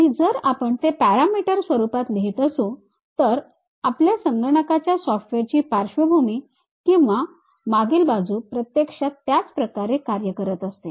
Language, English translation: Marathi, And, if we are writing it in parameter form so, the background of your or back end of your computer software actually works in that way